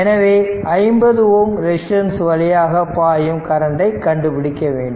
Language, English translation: Tamil, So, we have to current find out the current through this 50 ohm resistance